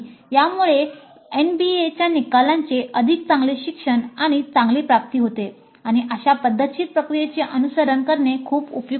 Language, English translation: Marathi, Thus it leads to better learning and better attainment of the NBA outcomes and it is very helpful to follow such a systematic process